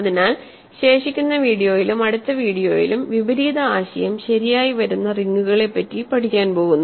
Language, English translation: Malayalam, So, in the remaining video and in the next video or so, we are going to study rings where actually the converse is true